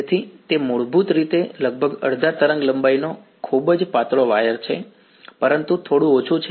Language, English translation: Gujarati, So, it is basically a very thin wired almost half a wavelength, but slightly less ok